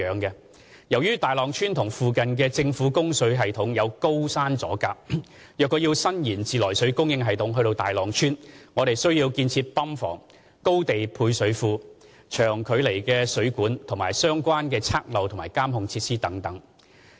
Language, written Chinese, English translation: Cantonese, 由於大浪村與附近的政府供水系統有高山阻隔，若要伸延自來水供應系統至大浪村，我們需要建造泵房、高地配水缸、長距離的水管及相關測漏和監控設施等。, To extend the treated water supply system to Tai Long Village which is separated from the government water supply system by a high mountain it will require to build a pump house a high level water tank long water mains associated leak detection and monitoring facilities etc